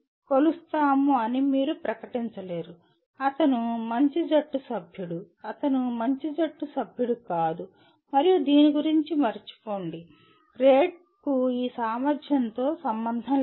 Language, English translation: Telugu, You cannot just merely announce that we will measure, he is a good team member, not so good team member and forget about this the grade has nothing to do with this ability